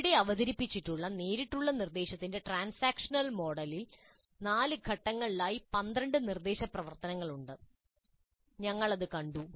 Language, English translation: Malayalam, The transaction model of direct instruction presented here has 12 instructional activities spread over four phases